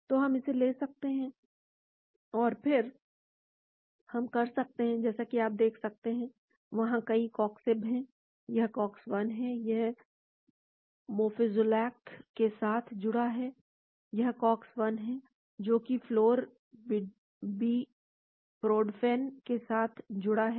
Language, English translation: Hindi, so we can take that and then we can as you can see, there are many coxibs there; this is Cox 1, it is complex with Mofezolac, this is Cox 1, complex with flurbiprodfen